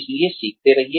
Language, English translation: Hindi, So, keep learning